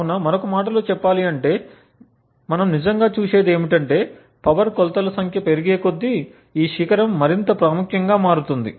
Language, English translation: Telugu, So, speaking in another words what we actually see is that as the number of power measurements increases, this peak becomes more and more prominent